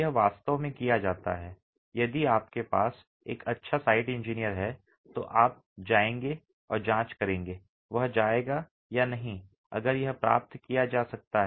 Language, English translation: Hindi, If you have a good site engineering, you'll go and check, you or she will go and check if this can be achieved